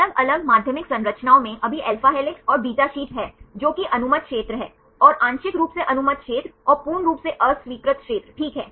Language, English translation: Hindi, In different secondary structures alpha helixes and beta sheets right now which are allowed regions and the partially allowed regions right and the complete disallowed region right fine